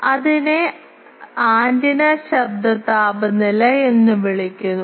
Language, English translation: Malayalam, So, that is called antenna noise temperature, ok